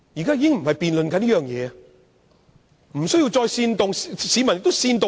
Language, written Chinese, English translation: Cantonese, 建制派議員無須再作煽動，市民亦不會被煽動。, Colleagues from the pro - establishment camp must not engage in the action of inciting again . The public will not be incited